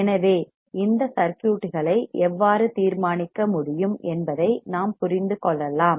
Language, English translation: Tamil, So, we can understand how we can decide this circuits alright